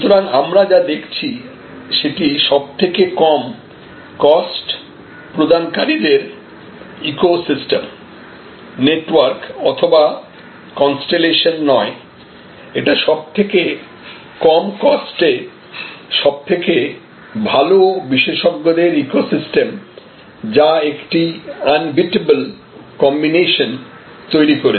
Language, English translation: Bengali, So, what we are now seeing is therefore, not a constellation or network or ecosystem of the lowest cost provider, but an ecosystem of the best experts at the lowest cost